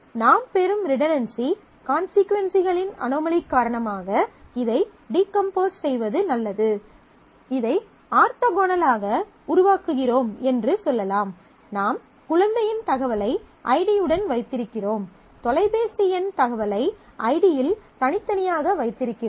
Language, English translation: Tamil, So, the redundancy consequences anomaly that we are getting into, so it could be better to decompose this to say that I make this orthogonal; I keep the child information with id and I keep the phone number information in the id separately